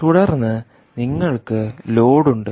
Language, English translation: Malayalam, right, and then you have the load